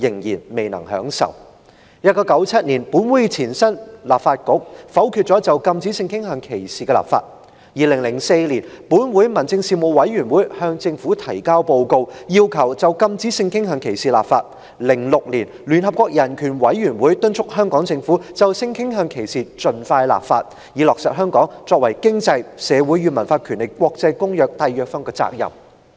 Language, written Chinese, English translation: Cantonese, 1997年，本會的前身立法局否決了就禁止性傾向歧視立法 ；2004 年，本會民政事務委員會向政府提交報告，要求就禁止性傾向歧視立法 ；2006 年，聯合國人權委員會敦促香港政府盡快就性傾向歧視立法，以履行香港作為《經濟、社會與文化權利的國際公約》締約方的責任。, In 1997 the proposal of introducing legislation to prohibit discrimination on the ground of sexual orientation was vetoed by the former Legislative Council; in 2004 the Panel on Home Affairs of the Legislative Council submitted a report to the Government requesting introduction of legislation to prohibit discrimination on the ground of sexual orientation; in 2006 the United Nations Commission on Human Rights UNCHR urged the Government of Hong Kong to expedite introduction of legislation in respect of discrimination on the ground of sexual orientation in order to fulfil its obligations as a signatory to the International Covenant on Economic Social and Cultural Rights ICESCR